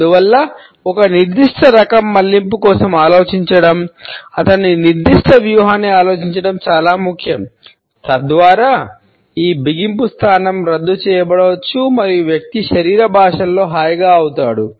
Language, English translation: Telugu, And therefore, it becomes important to think of his certain other strategy to think for certain type of a diversion so that this clamped position can be undone and the person can be relaxed in body language